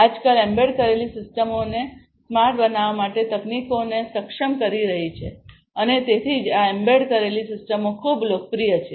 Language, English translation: Gujarati, Nowadays, embedded systems are enabling technologies for making systems smarter and that is why these embedded systems are very popular